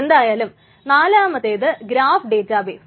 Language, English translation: Malayalam, But anyway, and the fourth one is graph databases